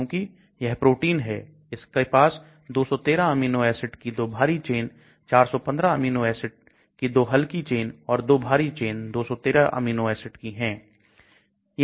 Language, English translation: Hindi, Because it is a protein like it has got 213 amino acids 2 heavy chains 415 amino acids and 2 light chains, 2 heavy chain 2 light chain 213 amino acids